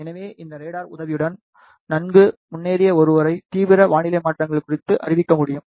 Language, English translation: Tamil, So, with the help of this radar in well advanced one can be notified about the extreme weather changes